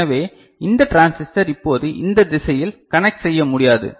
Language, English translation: Tamil, So, this transistor now cannot conduct in this direction ok